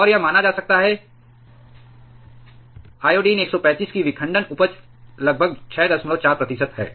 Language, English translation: Hindi, And it can be assumed that iodine 135 has a fission yield of about 6